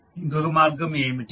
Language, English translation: Telugu, What can be the other path